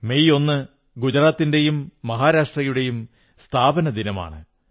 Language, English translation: Malayalam, 1st May is the foundation day of the states of Gujarat and Maharashtra